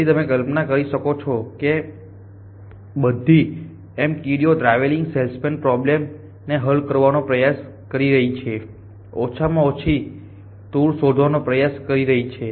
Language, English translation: Gujarati, So, you can imagine that all these M ants are there trying to find so all that travelling salesmen problem try to fine the shortest tour